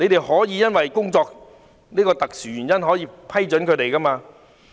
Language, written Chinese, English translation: Cantonese, 可以因為這個工作的特殊原因，批准他們這樣做。, FEHD can allow them to be masked for this special work reason